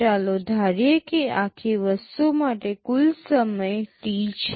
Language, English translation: Gujarati, Let me assume that the total time required for the whole thing is T